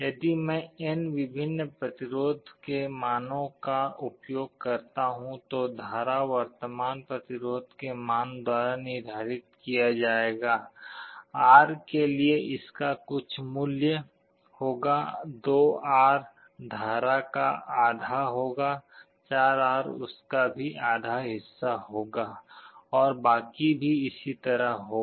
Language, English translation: Hindi, If I use n different resistance values, the current will be determined by the value of the resistance, for R it will be having some value, 2R will be having half the current, 4R will be having half of that, and so on